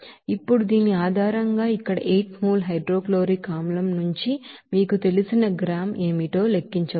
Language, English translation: Telugu, Now, based on this you can calculate what will be the you know gram of you know hydrochloric acid there since here 8 mole of hydrochloric acid